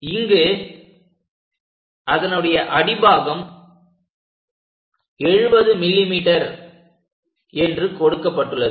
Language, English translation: Tamil, Here the base length 70 mm is given